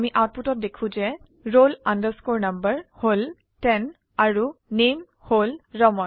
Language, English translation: Assamese, We see in the output that the roll number value is ten and name is Raman